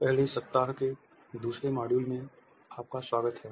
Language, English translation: Hindi, Welcome dear participants to the second module of the first week